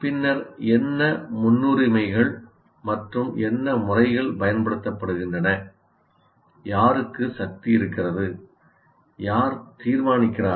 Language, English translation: Tamil, Then what are my priorities and what are the methods that I am using and who has the power